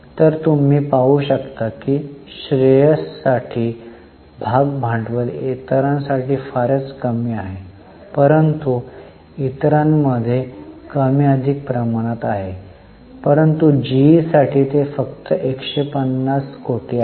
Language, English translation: Marathi, So, you can see the share capital for shares is very small, for others it is more or less in the range, though for G it is less, it is only 150 crore